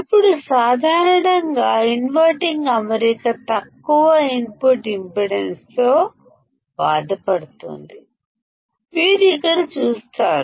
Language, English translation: Telugu, Now in general, the inverting configuration suffers from low input impedance; you will see here